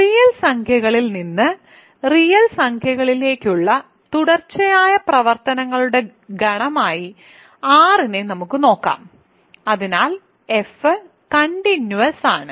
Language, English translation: Malayalam, So, let us look at let us get R to be the set of continuous functions from the real numbers to real numbers so, f is continuous